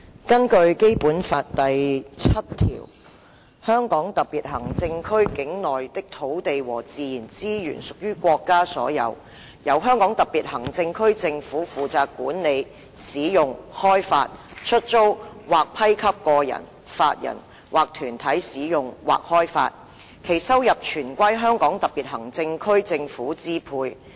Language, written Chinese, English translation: Cantonese, 根據《基本法》第七條，"香港特別行政區境內的土地和自然資源屬於國家所有，由香港特別行政區政府負責管理、使用、開發、出租或批給個人、法人或團體使用或開發，其收入全歸香港特別行政區政府支配。, According to Article 7 of the Basic Law BL [t]he land and natural resources within the Hong Kong Special Administrative Region shall be State property . The Government of the Hong Kong Special Administrative Region shall be responsible for their management use and development and for their lease or grant to individuals legal persons or organizations for use or development . The revenues derived therefrom shall be exclusively at the disposal of the government of the Region